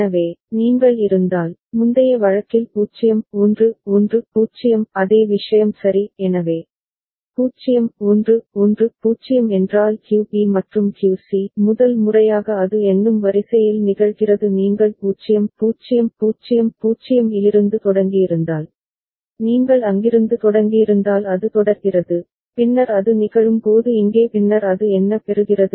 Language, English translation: Tamil, So, if you are having, in the previous case 0 1 1 0 the same thing right; so, 0 1 1 0 means QB and QC first time it is occurring in the counting sequence say if you have you have started from 0 0 0 0 the if you have started from there it goes on and then when first time it is occurring here and then it is getting what